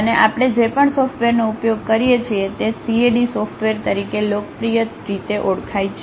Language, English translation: Gujarati, And the software whatever we use is popularly called as CAD software